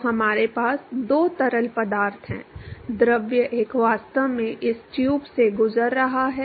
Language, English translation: Hindi, So, we have two fluids, fluid one is actually going through this tube